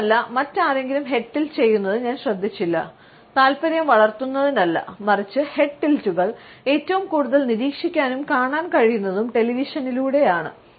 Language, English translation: Malayalam, And moreover, I barely noticed anyone else doing the head tilt especially, not for the sake of raising interest, but where we can see the head tilt in action is the television